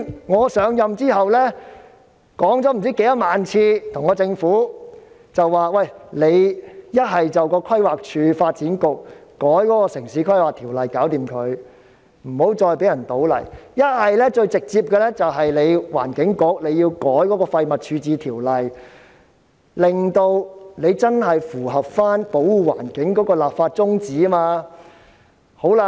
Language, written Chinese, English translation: Cantonese, 我上任後，已多番向政府建議由規劃署、發展局修改《城市規劃條例》，不要再讓人在該處倒泥，或直接由環境局修改《廢物處置條例》，令該條例真正符合保護環境的立法宗旨。, Since taking office I have repeatedly advised the Government to have the Planning Department and the Development Bureau amend the Town Planning Ordinance to ban soil dumping there or have the Environment Bureau amend the Waste Disposal Ordinance directly to truly fulfil its legislative intent of protecting the environment